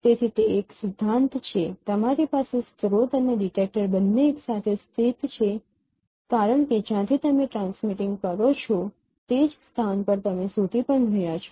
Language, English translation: Gujarati, So you and you have both source and detector co located because the point from where you are transmitting you are also detecting at the same location